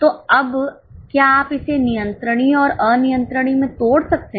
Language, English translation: Hindi, So, now can you break down into controllable and uncontrollable